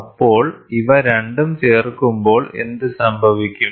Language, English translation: Malayalam, So, then what happens, when these two are added